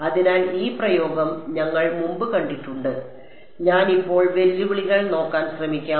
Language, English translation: Malayalam, So, we have seen this expression before now when I now let us just try to look at the challenges